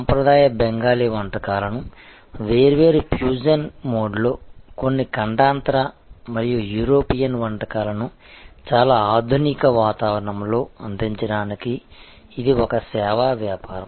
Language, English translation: Telugu, It is a service business for delivering traditional Bengali cuisine in different fusion mode, in a fusion with certain continental and European dishes and in very modern ambiance